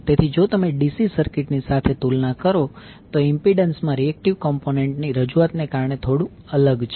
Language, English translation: Gujarati, So, if you compare from the DC circuit this is slightly different because of the introduction of reactive component in the impedance